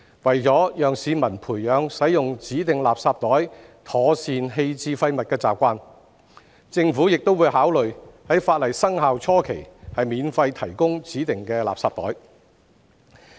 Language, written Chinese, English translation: Cantonese, 為了讓市民培養使用指定垃圾袋妥善棄置廢物的習慣，政府亦會考慮在法例生效初期免費提供指定垃圾袋。, To help the general public cultivate proper waste disposal habits with the use of designated garbage bags the Government will also consider providing free designated garbage bags during the initial stage of commencement of the legislation